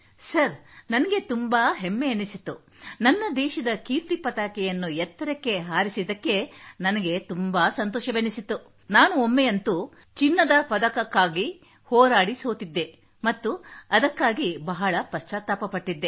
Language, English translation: Kannada, Sir, I was feeling very proud, I was feeling so good that I had returned with my country's flag hoisted so high… it is okay that once I had reached the Gold Fight, I had lost it and was regretting it